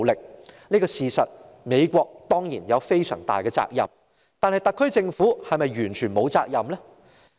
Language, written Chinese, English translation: Cantonese, 對於這事實，美國當然有非常大的責任，但特區政府是否完全沒有責任呢？, As a matter of fact the United States should definitely assume great responsibility yet does it mean that the SAR Government has no part to play?